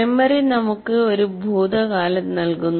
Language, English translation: Malayalam, First of all, memory gives us a past